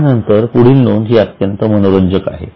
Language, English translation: Marathi, The next item is also very interesting